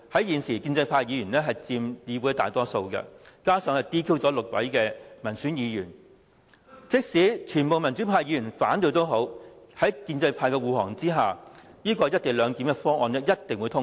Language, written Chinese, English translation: Cantonese, 現時建制派議員佔議會大多數，加上 "DQ" 了6位民選議員，即使全部民主派議員反對，在建制派的護航下，"一地兩檢"議案勢必獲得通過。, At present pro - establishment Members comprise the majority in the Council . With six elected Members being disqualified even if all pro - democracy Members oppose the motion on the co - location arrangement the motion would definitely get passed under the auspices of the pro - establishment camp